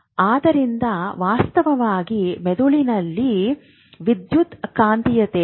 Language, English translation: Kannada, So, there is actually a electromagnetism in the brain